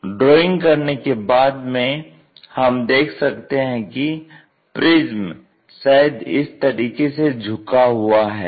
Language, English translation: Hindi, So, after drawing we see that the prism perhaps inclined in that way